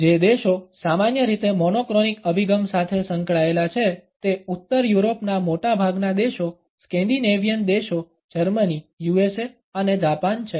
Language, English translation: Gujarati, The countries which are typically associated with a monochronic orientation are most of the countries in northern Europe the scandinavian countries Germany USA and Japan